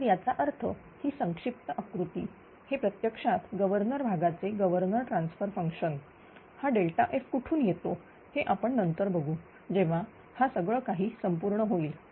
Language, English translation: Marathi, So that means, this is reduced block diagram this is actually governor transfer function of the governor part, this delta F which coming from where that will see later when everything will be completed